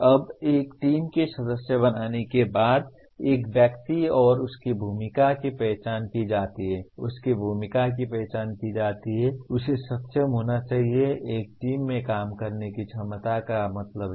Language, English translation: Hindi, Now an individual after becoming a member of a team and his role is identified, his or her role are identified, he should be able to, what does it mean ability to work in a team